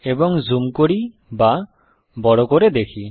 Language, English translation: Bengali, Let us also zoom it